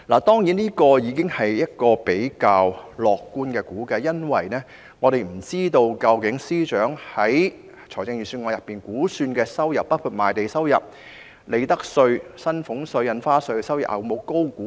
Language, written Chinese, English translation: Cantonese, 當然，這已是較樂觀的估計，因為我們不知道司長的預算案有否高估估算收入，包括賣地、利得稅、薪俸稅及印花稅的收入。, This is of course a relatively optimistic estimate because we do not know if the Financial Secretary has overestimated revenue projection which includes revenue from land premium profits tax salaries tax and stamp duty in his Budget